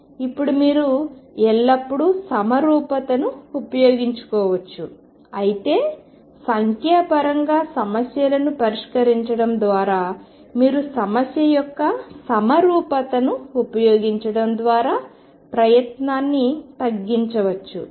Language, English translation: Telugu, Now, you can always make use of the symmetry while solving problems numerically you can reduce the effort by making use of symmetry of the problem